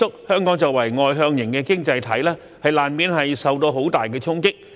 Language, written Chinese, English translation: Cantonese, 香港作為外向型經濟體，難免受到很大的衝擊。, As an externally - oriented economy Hong Kong is inevitably under huge impact